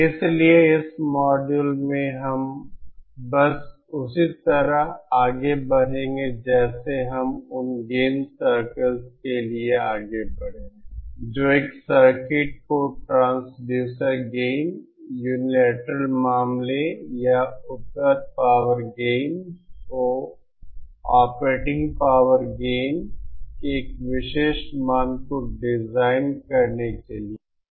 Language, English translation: Hindi, So in this module we will be just we will proceeding just like in the same way that we proceeded for the gain circles that is to design that is to design a circuit having a particular value of transducer gain, unilateral case or the operating power gain of the available power gain